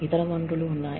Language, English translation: Telugu, There are other resources